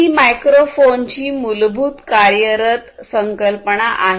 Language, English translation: Marathi, So, this is basically the concept of how a microphone works